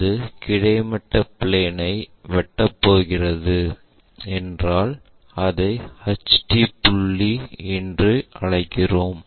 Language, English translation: Tamil, And if it is going to intersect the horizontal plane we call that one as HT point